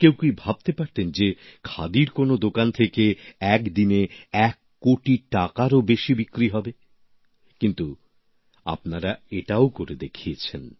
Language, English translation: Bengali, Could anyone even think that in any Khadi store, the sales figure would cross one crore rupees…But you have made that possible too